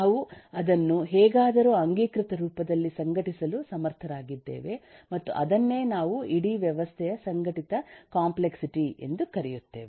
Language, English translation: Kannada, we have been able to somehow organize it under the canonical form and that is the reason we call this an organized complexity of the whole system